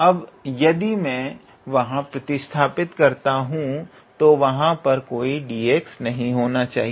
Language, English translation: Hindi, Now, if I substitute so there should not be any d x here